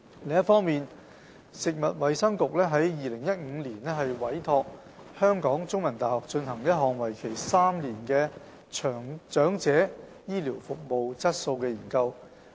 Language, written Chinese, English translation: Cantonese, 另一方面，食物及衞生局於2015年委託香港中文大學進行一項為期3年的長者醫療服務質素研究。, On the other hand in 2015 the Food and Health Bureau commissioned The Chinese University of Hong Kong CUHK to conduct a three - year research study on the quality of health care services for the ageing